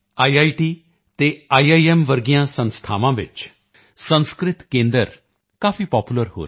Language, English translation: Punjabi, Sanskrit centers are becoming very popular in institutes like IITs and IIMs